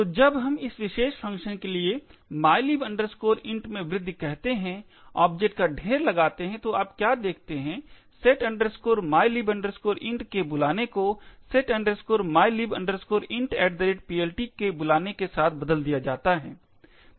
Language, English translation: Hindi, So, when we do the object dump for this particular function say increment mylib int, what you see the call to setmylib int is replaced with a call to setmylib int at PLT